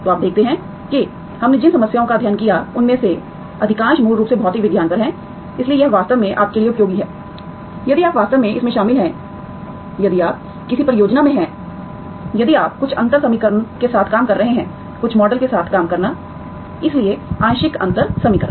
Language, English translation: Hindi, So you see that most of the problem that I have, we have studied are basically on physical sciences, so that is really useful for you to, if you if you actually involved in, if you are in some project, if you are working with some differential equation, working with some model, so partial differential equation